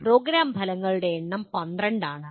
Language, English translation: Malayalam, There the number of program outcomes are 12